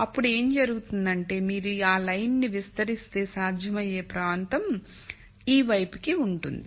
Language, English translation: Telugu, Then what would happen is if you were to extend this line all the way, then the feasible region is to this side